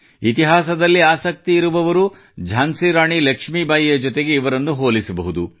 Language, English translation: Kannada, Those interested in history will connect this area with Rani Lakshmibai of Jhansi